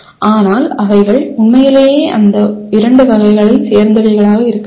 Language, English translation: Tamil, But they truly should belong to those two categories